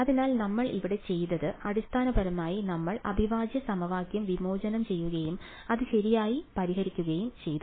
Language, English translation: Malayalam, So, what we did over here was, essentially we discretized the integral equation and solved it right